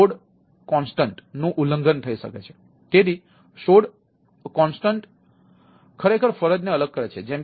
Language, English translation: Gujarati, so sod constant is the separation of duty